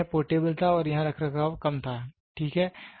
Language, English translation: Hindi, But here it was portable and maintenance were less here, ok